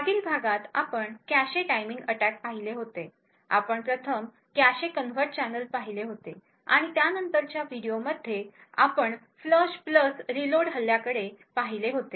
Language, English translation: Marathi, In the previous lectures we have been looking at cache timing attacks, we had looked at the cache covert channel first and then in the later video we had looked at the Flush + Reload attack